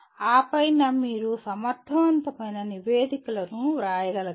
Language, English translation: Telugu, And on top of that you should be able to write effective reports